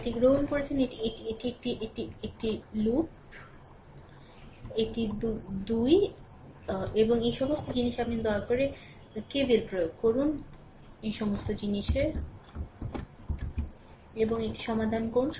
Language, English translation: Bengali, We have taken it is one this is one, this is one loop, this is 2 and all this things you please apply K V L and solve it